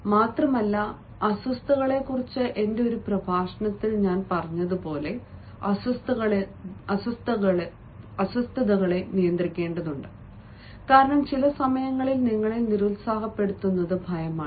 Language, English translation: Malayalam, moreover, as i said in one of my lecture on nervousness, that one has to control the nerves because you know it is fear, ah, that attains, discourages you